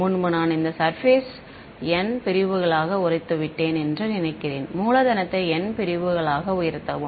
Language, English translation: Tamil, Earlier supposing I broke up this surface into N segments, capital N segments